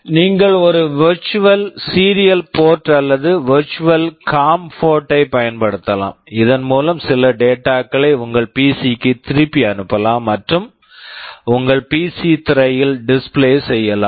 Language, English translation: Tamil, You can use a virtual serial port or virtual com port through which some of the data you can send back to your PC and display on your PC screen